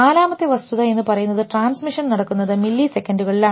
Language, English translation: Malayalam, And the forth thing the rate of transmission is in milliseconds at least